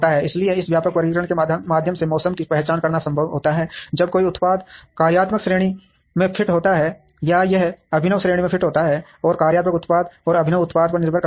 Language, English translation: Hindi, So, through this broad classification it is possible to identify weather a product fits into the functional category, or it fits into the innovative category, and depending on the functional product and innovative product